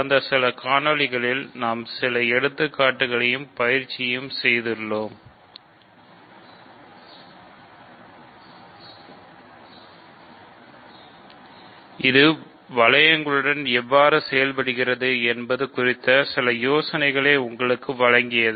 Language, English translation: Tamil, So, in the last few videos we have done some examples and exercises, hopefully which gave you some idea of how to work with rings